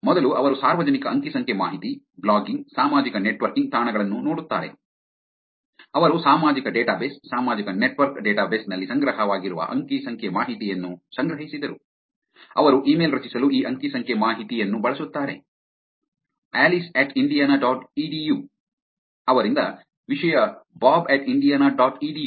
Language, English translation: Kannada, First they actually look at public data, blogging, social networking sites, they collected the data which is stored into the social database, social network database, they use this data to create an email which is From Alice at indiana dot edu, To subject Bob at indiana dot edu